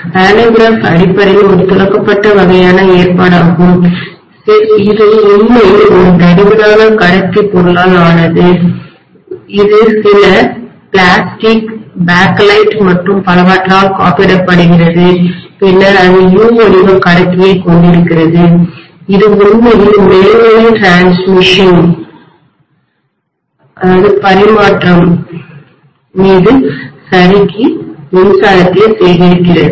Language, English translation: Tamil, This is a pantograph, so pantograph basically is a kind of a brushed kind of arrangement which is actually made up of a thick conducting material which is insulated by, you know whatever is the insulator they may have some plastic, bakelite and so on and then that is having a U shaped conductor which is actually sliding over the overhead transmission line to collect electricity